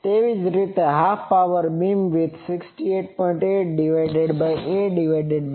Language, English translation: Gujarati, Similarly, half power beam width in degree it will be 68